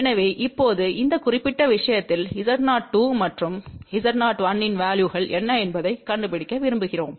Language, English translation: Tamil, So, for this particular case now, we want to find out what are the values of Z O 2 and Z O 1